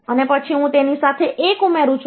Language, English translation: Gujarati, And then I add 1 with this